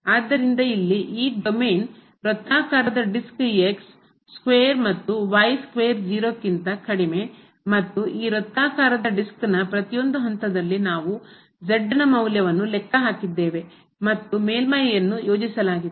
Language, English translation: Kannada, So, this domain here which is the circular disc square plus square less than equal to 0 and at each point of this circular disc, we have computed the value of and the surface is plotted